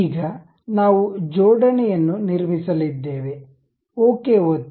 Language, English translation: Kannada, Now, we are going to construct an assembly, click ok